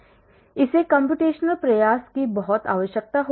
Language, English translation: Hindi, so it would require lot of computational effort